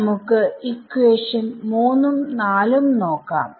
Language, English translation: Malayalam, Now let us look at these two equations so this equation 3 and equation 4